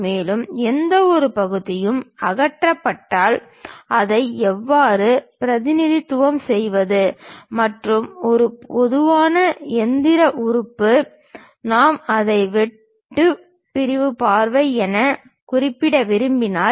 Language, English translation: Tamil, And, if any part is removed how to represent that and a typical machine element; if we would like to represent it a cut sectional view how to represent that